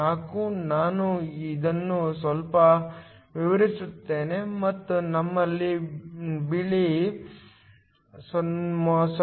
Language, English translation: Kannada, 4, let me just extend this a bit and you have 0